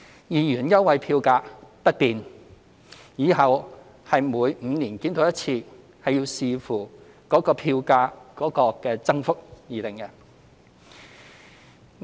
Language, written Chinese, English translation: Cantonese, 兩元優惠票價不變，往後是每5年檢討一次，視乎票價增幅而定。, The 2 concessionary fare will remain unchanged and will be reviewed every five years thereafter subject to fare increases